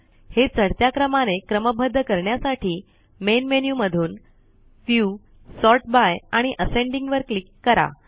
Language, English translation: Marathi, To sort it in the ascending order, from the Main Menu, click on View, Sort by and Ascending